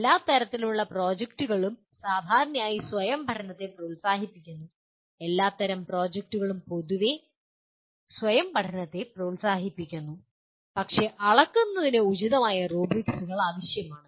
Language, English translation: Malayalam, Projects of all kinds generally promote self learning, projects of all kinds generally promote self learning, but appropriate rubrics are necessary for measurement